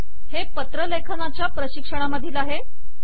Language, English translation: Marathi, This is from the spoken tutorial on letter writing